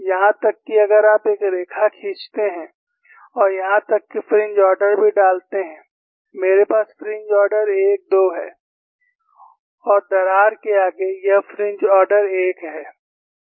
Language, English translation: Hindi, Even if you draw a line and even the fringe ordering is put; I have fringe order 1, 2 and I had of the crack it is fringe order 1 and you have the fringe orders like this